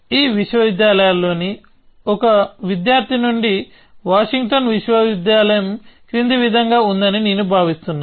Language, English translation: Telugu, student from one of these universities, I think Washington university is the following